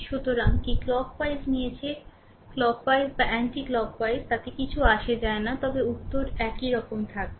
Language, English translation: Bengali, So, we have taken clock wise you take clock wise or anti clock wise does not matter answer will remain same right